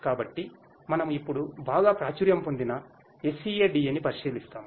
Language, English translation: Telugu, So, we will now have a look at the SCADA which is very popular